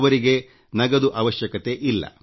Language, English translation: Kannada, It does not need cash